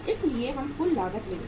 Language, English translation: Hindi, So uh we will take the total cost